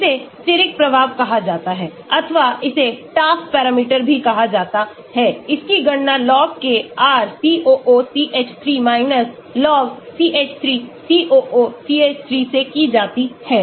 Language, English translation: Hindi, this is called steric effect, or this is also called Taft parameter This is calculated by log k of RCOOCH3 log CH3 COOCH3